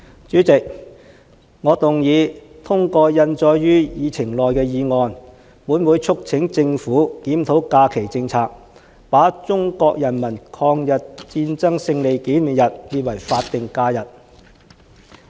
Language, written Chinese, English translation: Cantonese, 主席，我動議通過印載於議程內的議案，本會促請政府檢討假期政策，把中國人民抗日戰爭勝利紀念日列為法定假日。, President I move that the following motion as printed on the Agenda be passed That this Council urges the Government to review the holiday policy and designate the Victory Day of the Chinese Peoples War of Resistance against Japanese Aggression as a statutory holiday